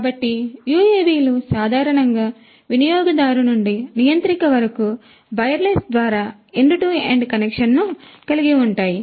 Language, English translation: Telugu, So, UAVs have an end to end connection typically via wireless from the user to the controller